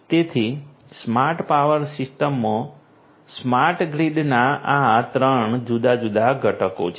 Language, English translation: Gujarati, So, these are these 3 different components of a smart grid in a smart power system